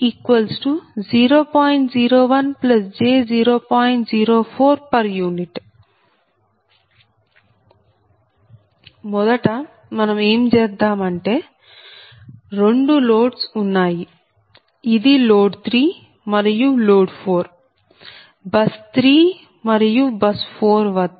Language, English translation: Telugu, this is load three and load four, which is it, and that is at bus three and bus four